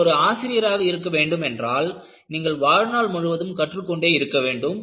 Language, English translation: Tamil, And, what you will have to know is, you know if you have to be a teacher, you have to be a learner all through your life